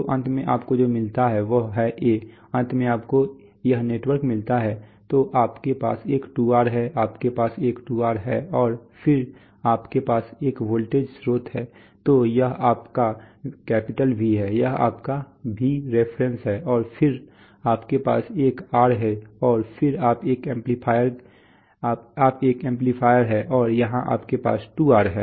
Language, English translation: Hindi, So finally what you get is a, finally you get this network, so you have a 2R you have one 2R and then you have a voltage source, so this is your V, this is your Vref and then you have an R and then you have an amplifier and here you have a 2R